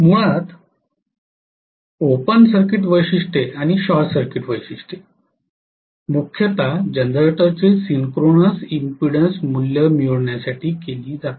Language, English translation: Marathi, So the open circuit characteristics and short circuit characteristics basically are done mainly to get the synchronous impedance value of the generator